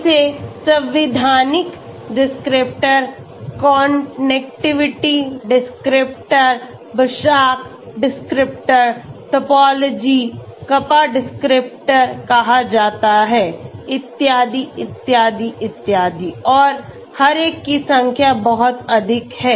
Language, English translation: Hindi, It is called Constitutional descriptors, Connectivity descriptors, Basak descriptors, Topology, Kappa descriptors so on, so on, so on, so on and each one there are so many numbers